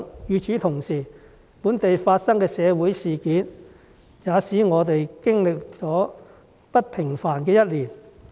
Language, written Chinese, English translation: Cantonese, 與此同時，本地發生的社會事件，也使我們經歷了不平凡的一年。, Meanwhile we had an extraordinary year with the occurrence of local social incidents